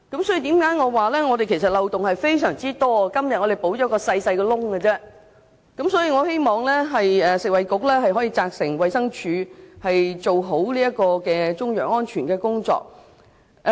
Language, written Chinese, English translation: Cantonese, 所以，香港在中藥材方面的漏洞十分多，今天我們只是填補一個小洞而已，我希望食物及衞生局可以責成衞生署做好中藥安全的工作。, Is this an omission? . So in Hong Kong there are plenty of loopholes in respect of Chinese herbal medicines and we are here patching up only a small hole today . I hope that the Food and Health Bureau will instruct the Department of Health DH to carry out work on the safety of Chinese medicines effectively